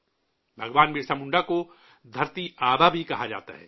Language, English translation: Urdu, Bhagwan Birsa Munda is also known as 'Dharti Aaba'